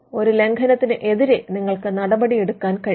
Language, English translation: Malayalam, You can take action on an infringement